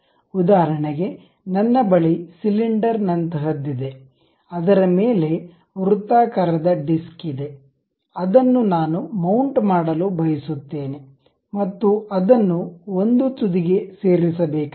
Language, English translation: Kannada, For example, I have something like a cylinder on which there is a circular disc I would like to really mount it and it is supposed to be fixed at one end